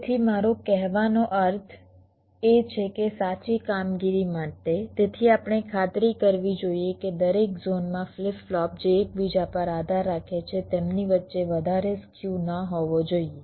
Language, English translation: Gujarati, so what i mean to say is that for correct operation, so we must ensure that in every zone, the flip flops which depend on each other, there should not be too much skew among themselves